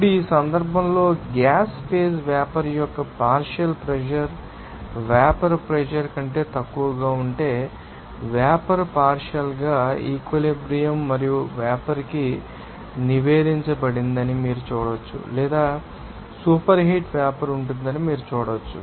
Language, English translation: Telugu, Now, in this case, when the partial pressure of the vapour in the gas phase if it is less than the vapour pressure, then you can see that vapour is reported to a partially saturated and vapour or you can see that superheated vapour will be there